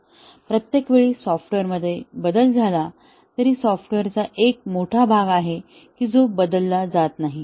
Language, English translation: Marathi, So, each time there is a change to the software, there is a large part of the software that has not changed